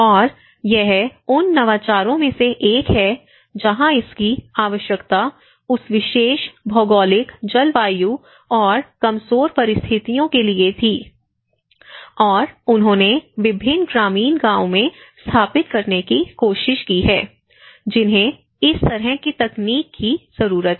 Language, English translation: Hindi, And this has been one of the innovation where it was needed for that particular geographic, and the climatic conditions and the vulnerable conditions and they have tried to install in various rural villages which are been in need of this kind of technology